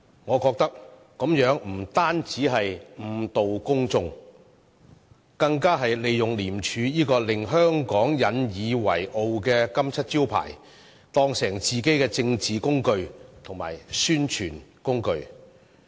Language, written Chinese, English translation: Cantonese, 我覺得這樣不單誤導公眾，更利用了廉署這個令香港引以自豪的金漆招牌，將之當作自己的政治工具和宣傳工具。, In my opinion not only is this a misleading assertion those who say so have even tried to use the well - earned reputation of ICAC which Hong Kong has been so proud of as a political tool and a medium for self - promotion for themselves